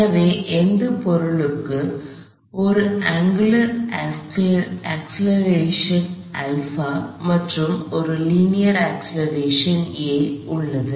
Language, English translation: Tamil, So, this object has an angular acceleration alpha as well as a linear acceleration a